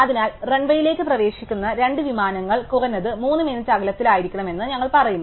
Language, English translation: Malayalam, So, we say that 2 planes accessing the run way must be a minimum of 3 minutes apart